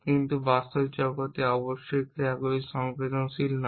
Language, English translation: Bengali, But in the real world of course, actions are not in sententious